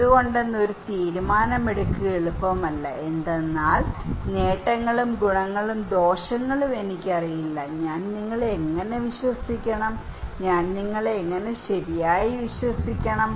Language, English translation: Malayalam, It is not easy to make a decision why; because I would really do not know the advantage, merits and demerits, how should I believe you, how should I trust you right